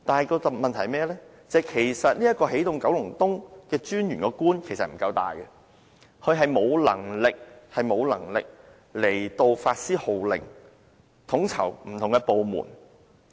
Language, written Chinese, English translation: Cantonese, 然而，問題是起動九龍東專員的官職不夠大，他沒有能力發施號令，統籌不同的部門。, However as the rank of the Head of the Energizing Kowloon East Office EKEO is not high enough she has no ability to issue orders and coordinate various departments